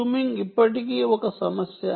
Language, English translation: Telugu, jamming is still an issue